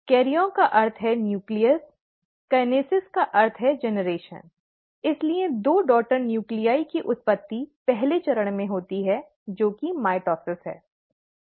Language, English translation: Hindi, ‘Karyon’ means nucleus, ‘kinesis’ means generation, so generation of two daughter nuclei happens in the first step, which is mitosis